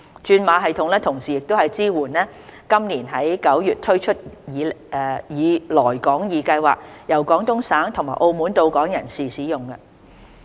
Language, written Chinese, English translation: Cantonese, 轉碼系統同時支援於今年9月推出以"來港易"計劃由廣東省和澳門到港的人士使用。, The system also supports persons coming to Hong Kong from Guangdong Province and Macao under the Come2hk Scheme launched in September this year